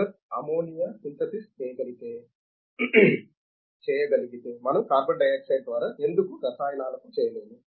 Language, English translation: Telugu, If Haber could do ammonia synthesis, why cannot we do carbon dioxide to chemicals